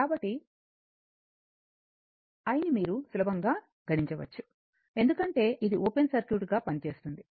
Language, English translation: Telugu, So, and your what you call, easily you can compute I because this will act this will act as a open circuit